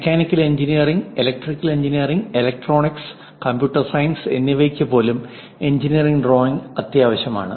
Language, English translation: Malayalam, Even for mechanical engineering, electrical engineering, and electronics, and computer science engineering drawing is very essential